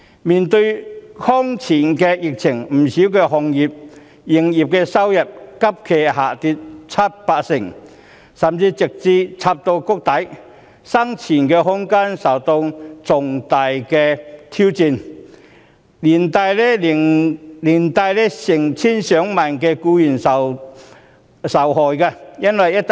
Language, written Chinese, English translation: Cantonese, 面對空前的疫情，不少行業的營業收入急劇下跌七八成，甚至直插谷底，生存空間受到重大挑戰，成千上萬僱員受害。, In face of the unprecedented epidemic the business revenues of many industries have dropped sharply by some 70 % to 80 % and even reaching the rock bottom . The room for survival is challenged significantly affecting tens of thousands of employees